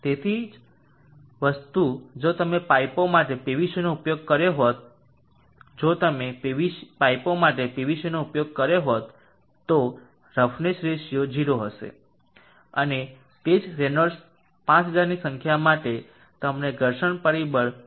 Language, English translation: Gujarati, 038495 same thing if you are used PVC for the pipes we have to use PVC for the pipes the roughness ratio would be 0 and for the same Reynolds number of 5000 you will get a friction factor 0